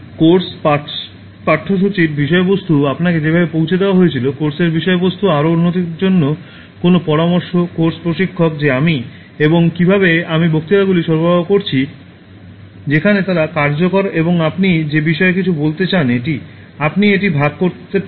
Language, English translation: Bengali, Anything about the course, the course contents, the way it was delivered to you, the course contents, any suggestions for further improvement, the course instructor that is me and how I delivered the lectures, where they effective and anything you want to say about this, you can share it